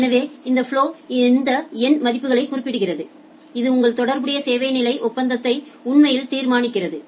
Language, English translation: Tamil, So, this flow specifies all these numeric values, which actually determines your corresponding service level agreement